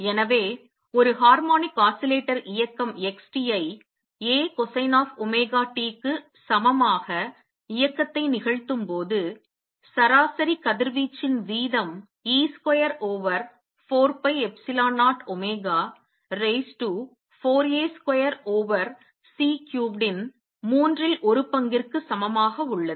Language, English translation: Tamil, So, when a harmonic oscillator is performing motion x t equals a cosine of omega t, I have the rate of average rate of radiation is equal to 1 third e square over 4 pi epsilon 0 omega raise to 4 A square over C cubed